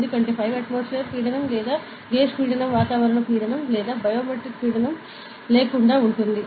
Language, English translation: Telugu, Because, this 5 atmospheric pressure or the gauge pressure is devoid of the atmospheric pressure or the barometric pressure, ok